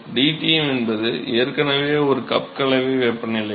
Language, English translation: Tamil, dTm is already a cup mixing temperature